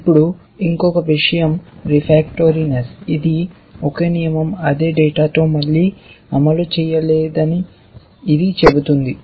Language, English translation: Telugu, Now, one more thing is refractoriness, this simply says that a same rule cannot fire with the same data again essentially